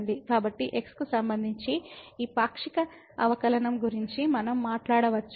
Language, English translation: Telugu, So, we can talk about this partial derivative with respect to